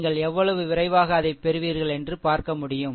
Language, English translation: Tamil, Then you see how quickly you will get it